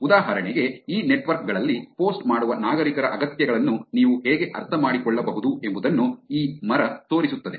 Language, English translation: Kannada, For example, this tree shows how you can understand the needs of citizens who are posting on these networks